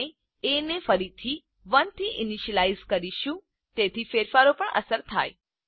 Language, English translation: Gujarati, We again initialize a to 1 so as to reflect on the changes